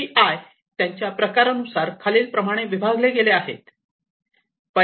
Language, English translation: Marathi, So, these KPIs based on their types can be categorized into two types